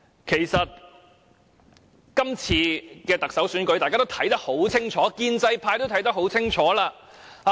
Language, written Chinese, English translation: Cantonese, 其實，今次的特首選舉，大家都看得很清楚，建制派也看得很清楚。, In fact it is clear for everyone and the pro - establishment camp to see the nature of this Chief Executive Election